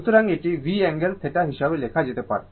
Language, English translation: Bengali, So, this can be written as V angle theta